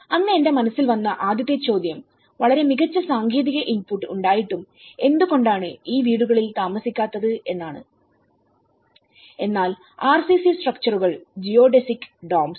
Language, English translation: Malayalam, The first question in my mind rose on that day, why these houses were not occupied despite of having a very good technical input but is RCC structures Geodesic Domes